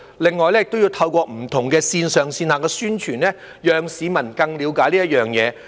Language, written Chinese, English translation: Cantonese, 此外，當局亦要透過不同的線上線下宣傳，讓市民更了解這件事。, Moreover the authorities should also make use of various online and offline publicity tools so that the public can better understand this issue